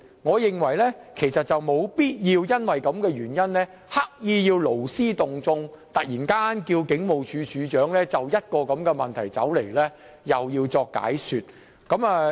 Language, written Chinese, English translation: Cantonese, 我認為沒有必要為了這個議題而勞師動眾，突然要求警務處處長前來立法會作出解說。, I think the subject does not warrant massive deployment in the form of a sudden summons for the Commissioner of Police to attend before the Council to give an explanation